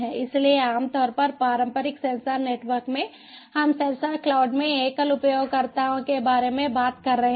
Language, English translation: Hindi, so typically in a in the traditional sensor networks we are talking about single user